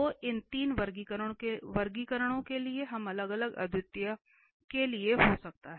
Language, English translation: Hindi, So, these three classification we can have for the isolated singularities